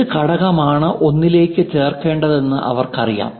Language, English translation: Malayalam, And they know which component has to be assembled to what